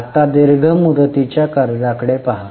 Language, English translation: Marathi, Now look at the long term borrowings